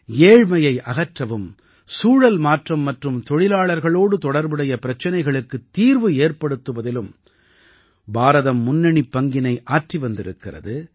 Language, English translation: Tamil, India is also playing a leading role in addressing issues related to poverty alleviation, climate change and workers